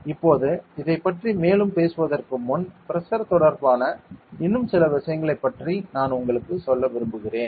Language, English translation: Tamil, Now before further more into this, I will like to tell you about some more things regarding pressure ok